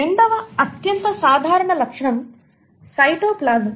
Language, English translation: Telugu, The second most common feature is the cytoplasm